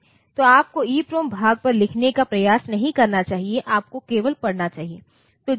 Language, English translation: Hindi, So, you should not try to write on to the EPROM part, you should only read